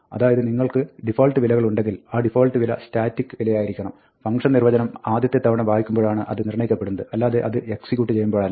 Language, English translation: Malayalam, So, when you have default values, the default value has to be a static value, which can be determined when the definition is read for the first time, not when it is executed